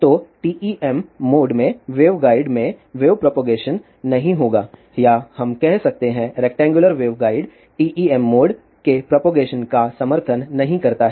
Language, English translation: Hindi, So, there will not be wave propagation in the waveguide in TEM mode or we can say rectangular waveguide does not support TEM mode of propagation